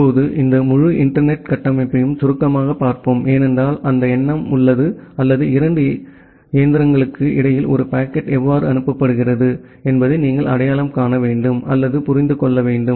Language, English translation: Tamil, Now let us briefly look into this entire internet architecture because that has the notion or that has the concept which you will require to identify or to understand that how a packet is being forwarded between 2 machines